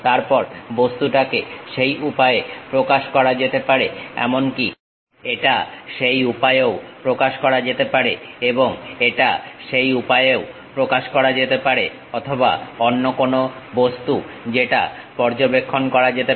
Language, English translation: Bengali, Then the object may be represented in that way, it might be represented even in that way and it can be represented in that way also or any other object which might be observed